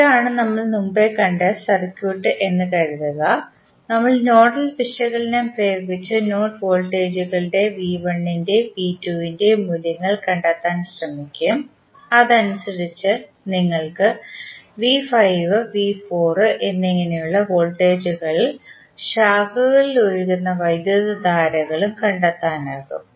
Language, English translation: Malayalam, Let us assume that this is the circuit which we saw previously and we will apply the nodal analysis and try to find out the values of node voltages V 1 in V 2 and then accordingly you can find the voltages and currents for say that is V 5 and V 4 and the currents flowing in the branches